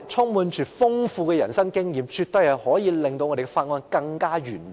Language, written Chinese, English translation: Cantonese, 他們豐富的人生經驗，絕對可以令法案的審議更完美。, Their rich life experience will definitely improve the bills concerned